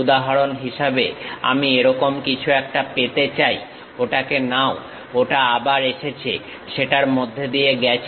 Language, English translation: Bengali, For example, I would like to have something like this, take that, again comes pass through that